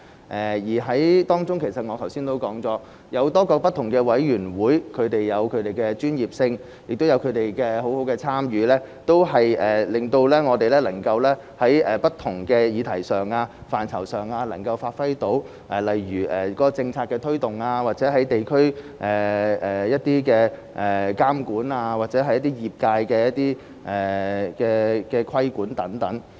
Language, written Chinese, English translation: Cantonese, 正如我剛才所說，政府有很多不同委員會，而委員會各有其專業性，而委員亦積極參與，令政府能夠在不同的議題上和範疇內發揮職能，例如政策的推動、地區監管及對業界的規管等。, As I said just now there are many different committees in the Government each with their own professionalism . With active participation of the committee members the Government is thus able to perform its functions in different subject matters and areas such as promotion of policies monitoring in the districts and regulation of industries